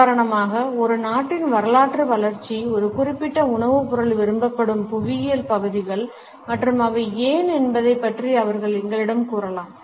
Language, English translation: Tamil, For example, they can tell us about the historical development of a country, the geographical regions where a particular food item is preferred and why